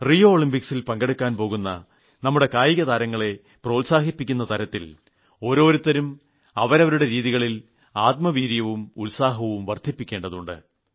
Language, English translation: Malayalam, To encourage the sportspersons who are leaving for the Rio Olympics, to boost their morale, everyone should try in one's own way